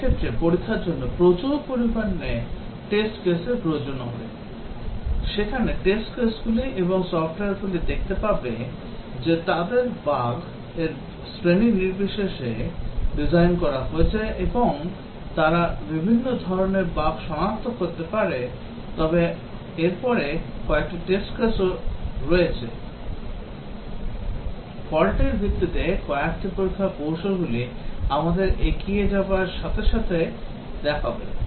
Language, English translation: Bengali, In that case, will need a large number of test cases; the test cases here and software will see they are designed irrespective of the bug category and they might detect different types of bugs, but then there are few test cases also, few test strategies which are fault based will look those as we proceed